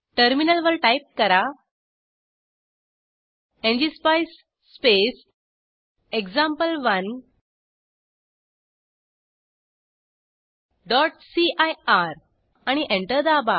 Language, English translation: Marathi, On terminal, Type ngspice space example1.cir and press Enter